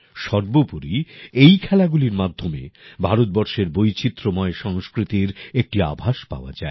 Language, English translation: Bengali, After all, through games like these, one comes to know about the diverse cultures of India